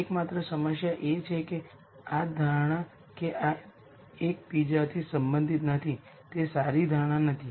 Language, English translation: Gujarati, The only problem is that the assumption that these are not related to each other is not a good assumption to make